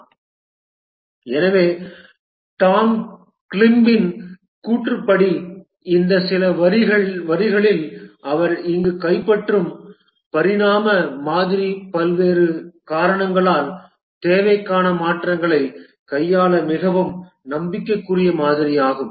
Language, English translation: Tamil, So, according to Tom Gleib, the evolutionary model which he captures here in this view lines is a very promising model to handle changes to the requirement due to various reasons